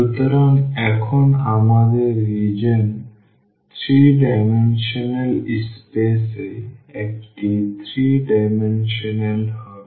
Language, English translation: Bengali, So, we are talking about the 3 dimensional space